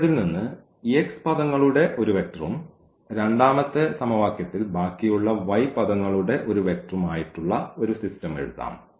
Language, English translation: Malayalam, So, we can also write down the system as like the first vector I will take x from this and also x from here and in the second equation the rest the y term